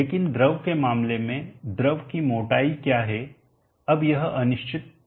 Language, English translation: Hindi, But in the case of the fluid what is the thickness of the fluid, now that is an uncertain quantity